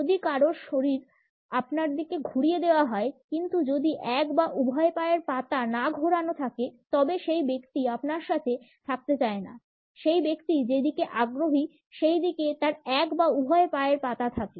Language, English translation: Bengali, If someone’s body is turned towards you, but one or both feet are not the person does not want to be with you; one or both feet point at something the person is interested in